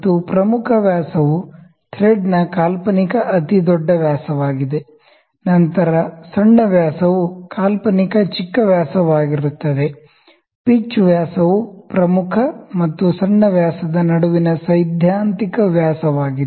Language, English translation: Kannada, And major dia is an imaginary largest dia of the thread, then the minor dia is an imaginary smallest dia, pitch dia is theoretical dia between the major and minor dia diameters